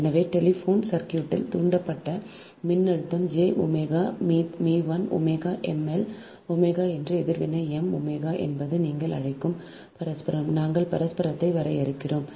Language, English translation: Tamil, so voltage induced in the telephone circuit: j, omega, m into i, omega m, l omega is the reactance, m, m, omega, is that ah, mutual, your, what you call, we define mutual one